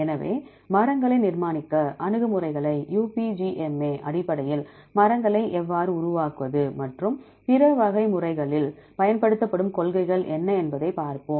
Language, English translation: Tamil, So, we will see how to construct trees based on UPGMA and what are the principles used in the other types of methods